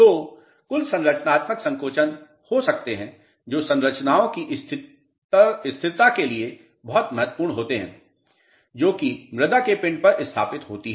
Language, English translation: Hindi, So, you may have certain structural shrinkages which are very important for the stability of structures which are founded on the on the soil mass